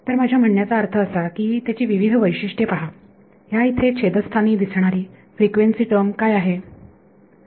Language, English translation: Marathi, So, I mean look at the various features of it what is the frequency term is appearing here in the denominator right